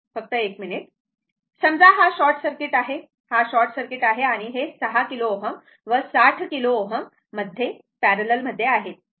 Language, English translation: Marathi, Suppose this is short circuit; this is short circuit right, then 6 kilo ohm and 60 kilo ohm are in parallel right